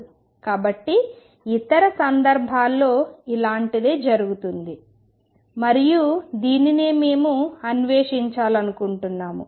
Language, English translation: Telugu, So, it does something similar happen in other cases and that is what we want to explore in